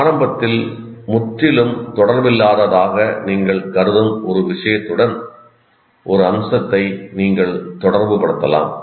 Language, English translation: Tamil, That's where you can relate one aspect to something you may consider initially totally unrelated